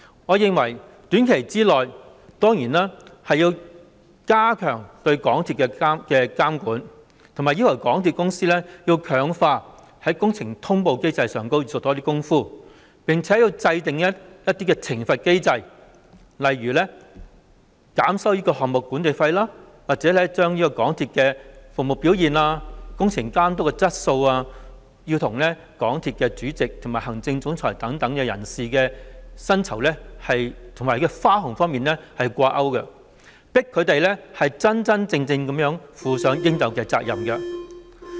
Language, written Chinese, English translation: Cantonese, 我認為短期內當然要加強對港鐵公司的監管，以及要求港鐵公司強化工程通報機制，並且制訂懲罰機制，例如減收項目管理費，或者把港鐵公司的服務表現和工程監督的質素與港鐵公司主席及行政總裁等人士的薪酬和花紅掛鈎，迫使他們真真正正地負責任。, I hold that in the short term it is certainly necessary to step up the supervision of MTRCL require MTRCL to strengthen the project management notification system and put in place a punishment mechanism such as reducing project management fees or linking the service performance and quality of works supervision of MTRCL with the remunerations and bonuses of its Chairman and Chief Executive Officer thereby pressing them to be truly responsible